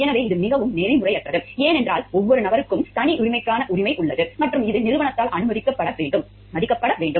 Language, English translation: Tamil, So, this is highly unethical, because every person has a right to privacy and which needs to be honored by the organization